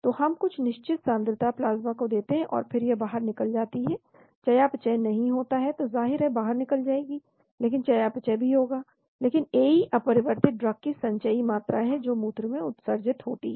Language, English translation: Hindi, So we give certain concentration goes to the plasma, and then it gets eliminated not metabolized but eliminated of course there will be metabolism also, but AE is the cumulative amount of unchanged drug excreted into the urine